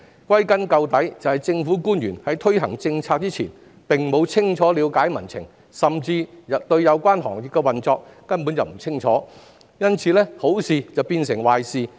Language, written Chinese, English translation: Cantonese, 歸根究底，正是政府官員在推行政策前沒有清楚了解民情，甚至根本不了解有關行業的運作，以致好事變壞事。, When all is said and done it is the government officials failure to understand public sentiment before policy implementation or even complete ignorance about the operation of the industries concerned that has turned good things into bad things